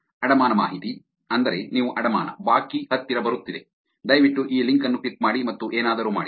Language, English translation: Kannada, Mortgage information, meaning your mortgage, the due is coming closer, please click this link and do something